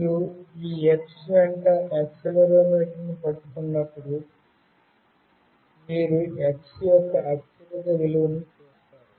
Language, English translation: Telugu, When you hold the accelerometer along this X, then you will see the highest value for this X